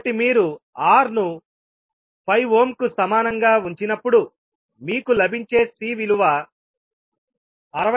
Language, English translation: Telugu, So when you put R equal to 5ohm, the value of C you will get is 66